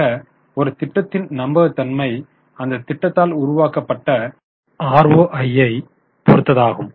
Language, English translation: Tamil, So, viability of a project very much depends on ROI generated by the project